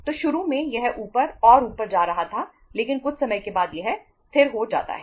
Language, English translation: Hindi, So initially it was going up up up and up but after some period of time it becomes stable